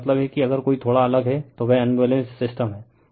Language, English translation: Hindi, I mean if one is different slightly, then it is unbalanced system